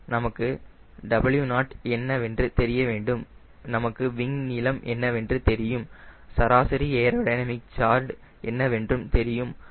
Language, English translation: Tamil, so we have, we know what is w naught, we know what is the wing area, what we know, what is the wing aerodynamic chord